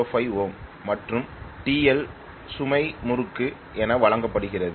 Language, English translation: Tamil, 05 ohm and TL that is the load torque which is given as 50 minus 0